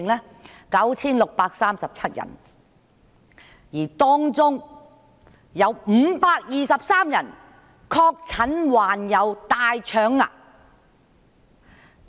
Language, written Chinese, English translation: Cantonese, 有 9,637 人，而當中有523人確診患有大腸癌。, 9 637 of them had with 523 being diagnosed with colorectal cancer